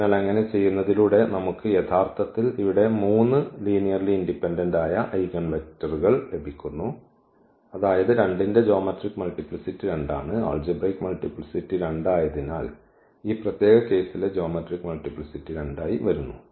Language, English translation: Malayalam, So, by doing so what we are actually getting here we are getting 3 linearly independent eigenvector meaning this geometric multiplicity of 2 is 2 and also it is; as the algebraic multiplicity is 2, also the geometric multiplicity in this particular case is coming to be 2